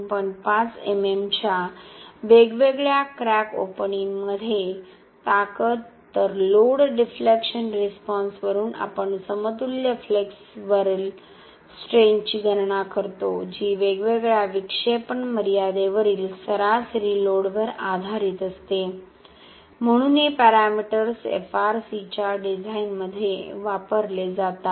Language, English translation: Marathi, 5 MM, whereas from the load deflection response we calculate the equivalent flexural strength, which is based on the average load at different deflection limits, so these parameters are used in the design of FRC elements